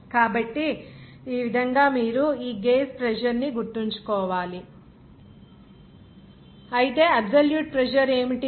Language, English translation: Telugu, So, in this way you have to remember whereas gauge pressure will be what is your absolute pressure